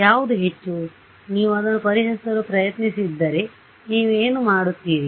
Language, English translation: Kannada, What is the most, what would you do if you are trying to solve it